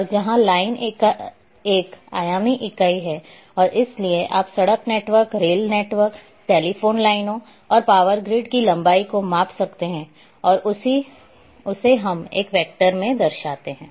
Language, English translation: Hindi, And where line is a one dimensional entity and therefore you can measure the length like road network, rail network, telephone lines, and power grids everything we represent in a vector